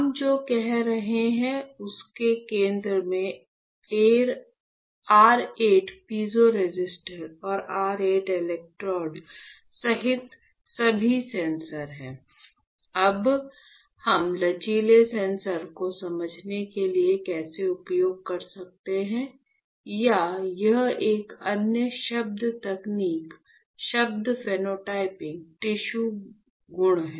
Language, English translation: Hindi, So, the center like what we were saying right has all the sensors right including your 8 piezo resistor and your 8 electrodes, all right Now, let us see how can we use this flexible sensor for understanding the or it can in another term technical term is phenotyping tissue properties